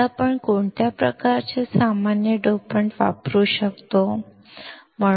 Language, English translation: Marathi, Now, what kind of common dopants can we use